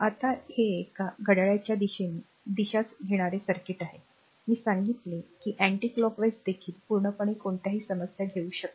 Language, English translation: Marathi, Now this is a circuit we have taking clock wise direction I told you anti clock wise also you can take absolutely no problem , right